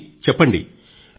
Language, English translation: Telugu, So, tell me